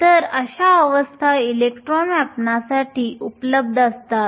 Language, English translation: Marathi, So, theses are states that available for the electrons to occupy